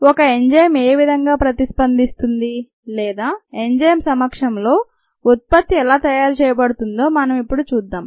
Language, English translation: Telugu, let us see how an enzyme ah, reacts to form the products or how the product is made in the presence of an enzymes